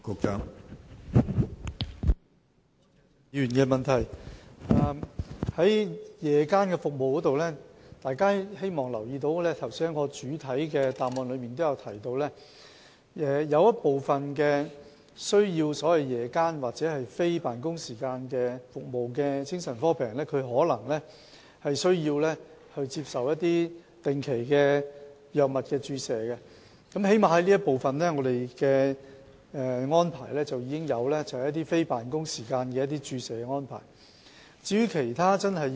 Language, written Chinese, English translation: Cantonese, 關於夜間覆診服務，希望大家注意一點，我剛才在主體答覆也有提到，有部分需要在夜間或非辦公時間接受服務的精神科病人，可能需要定期接受一些藥物注射，當局已作出安排，在非辦公時間提供注射治療服務。, Regarding the issue of providing psychiatric SOP services in the evenings I would like to draw Members attention to one point which I have also mentioned in my main reply earlier . Some psychiatric patients who have a need for psychiatric services in the evenings or during non - office hours may need injection treatment . The authorities have already made arrangement to provide injection treatment for them during non - office hours